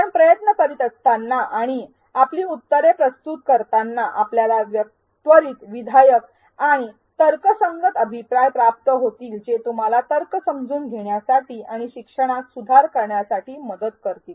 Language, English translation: Marathi, As you attempt and submit your answers, you will receive an immediate constructive and customized feedback for each LbD to help you understand the rationale and improve on your learning